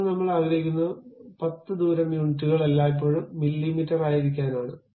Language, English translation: Malayalam, Now, I would like to have something like 10 radius units always be mm